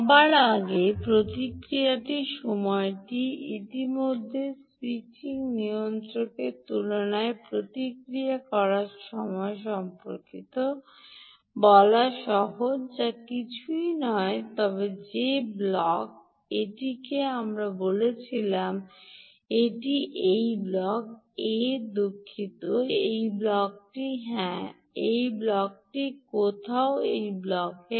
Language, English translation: Bengali, its easy to talk about the response time in comparison to the switching regulator already ok, which is nothing but that block a which we said: ok, this is this block a ah